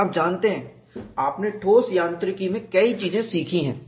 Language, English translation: Hindi, And you know, you have learned in solid mechanics, many things